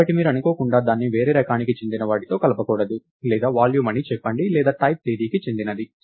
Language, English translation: Telugu, So, you don't want to accidentally mix it with something which is of type lets say volume or something which is of the type date and so, on